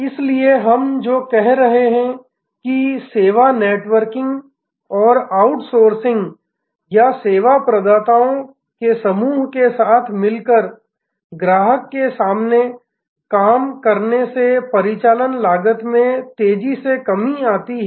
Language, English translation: Hindi, So, what we are saying is that the service networking and outsourcing or constellation of service providers together working in front of the customer has lead to rapid reduction of operational costs